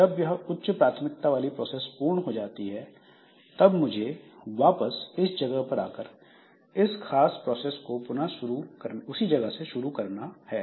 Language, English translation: Hindi, Then what happens is that after that higher priority process is over, I must be able to come back with execution of this particular process and it has to start from this point onwards